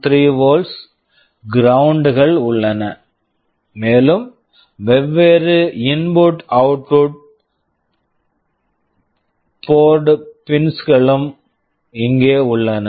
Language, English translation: Tamil, 3 volts, ground these are available, and different input output port pins are available here